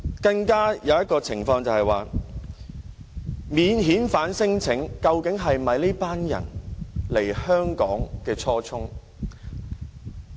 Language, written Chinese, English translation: Cantonese, 另一點是，提出免遣返聲請究竟是否這群人來香港的初衷？, Another point is about whether lodging non - refoulement claims is their original aim of coming to Hong Kong